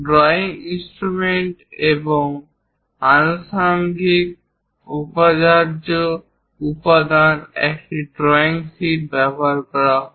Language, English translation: Bengali, In the drawing instruments and accessories, the essential component is using drawing sheet